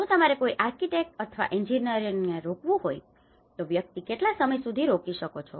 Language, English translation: Gujarati, If you have to engage an architect or an engineer, how long one can engage